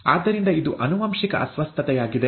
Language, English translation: Kannada, And therefore, it is a genetic disorder